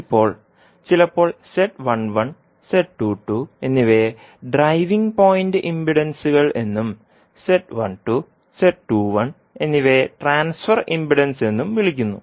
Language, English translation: Malayalam, Now, sometimes the Z1 and Z2 are called driving point impedances and Z12 and Z21 are called transfer impedance